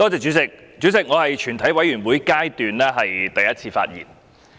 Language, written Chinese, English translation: Cantonese, 主席，這是我在全體委員會審議階段的第一次發言。, Chairman this is the first time that I speak at the Committee stage of the whole Council